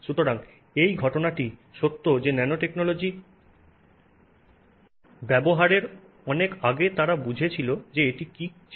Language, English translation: Bengali, So, same thing has been true with nanotechnology, yet another field where people utilized nanotechnology long before they understood what it was, right